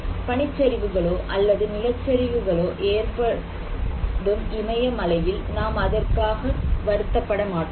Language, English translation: Tamil, If we have avalanches, landslides in Himalayas, do we consider these events as disasters